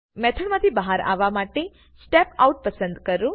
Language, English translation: Gujarati, Let me choose Step Out to come out of the method